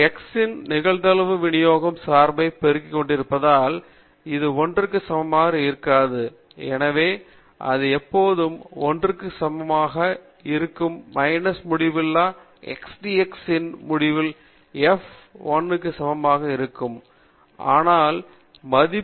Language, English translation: Tamil, That is given by minus infinity to plus infinity x f of dx; this need not be equal to 1 because we are multiplying the probability distribution function by x and so it will not be always equal to 1, only minus infinity to plus infinity f of x dx will be equal to 1, but here it can be any value